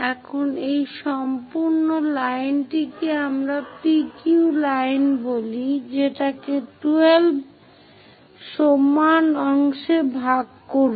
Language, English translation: Bengali, Now, divide this entire line which we call PQ line into 12 equal parts